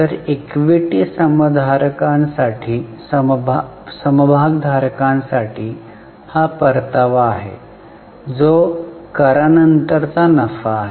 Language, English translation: Marathi, So, this is the return meant for the equity shareholders which is profit after tax